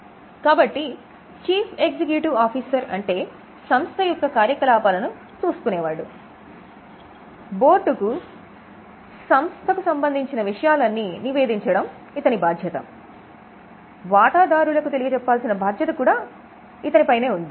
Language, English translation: Telugu, So, Chief Executive Officer is one who is looking after the operations is also responsible for reporting to the board is also responsible for reporting to the shareholders